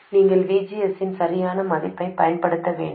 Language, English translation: Tamil, You just have to apply the correct value of VGS